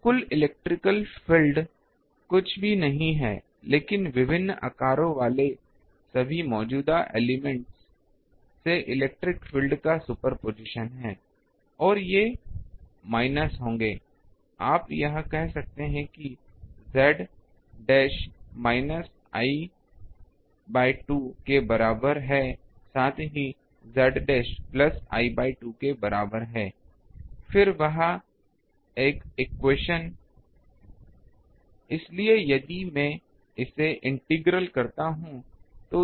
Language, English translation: Hindi, So, total electric field is nothing, but superposition of electric field from all the current elements having different sizes, and these will be minus you can say z dash is equal to minus l by 2, with z dash is equal to plus l by 2, then that de theta ok